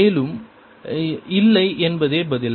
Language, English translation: Tamil, and the answer is no